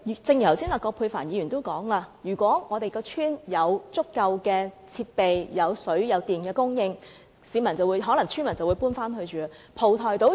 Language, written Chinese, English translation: Cantonese, 正如葛珮帆議員剛才說，如果鄉村有足夠的設備，以及有水電供應，村民便可能會搬回去居住。, Just as Dr Elizabeth QUAT has said with sufficient facilities and water and electricity supply in the villages villagers may return for dwelling